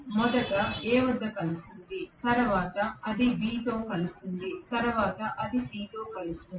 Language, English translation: Telugu, First it will meet with A, next it will meet with B, next it will meet with C